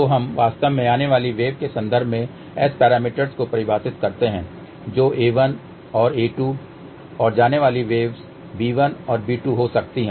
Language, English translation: Hindi, So, we actually define S parameters in terms of incoming waves which could be a 1 and a 2 and outgoing waves b 1 and b 2